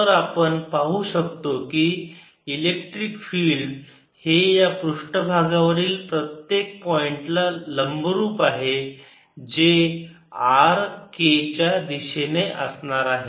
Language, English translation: Marathi, so we can see electric field is perpendicular at every point on the surface which is along the r k direction